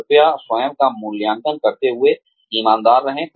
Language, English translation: Hindi, Please be honest, while evaluating yourself